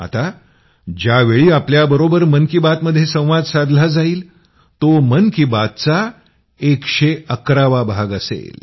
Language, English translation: Marathi, Next when we will interact with you in 'Mann Ki Baat', it will be the 111th episode of 'Mann Ki Baat'